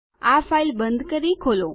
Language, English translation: Gujarati, Lets close this file